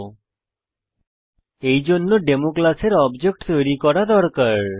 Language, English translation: Bengali, 00:09:28 00:09:21 For that we need to create the object of the class Demo